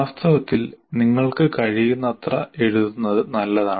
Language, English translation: Malayalam, In fact, it is good to write as much as you can